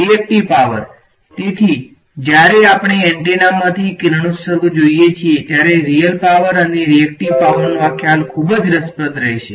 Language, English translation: Gujarati, Reactive power so, this concept of real power and reactive power will be very interesting when we look at the radiation from antenna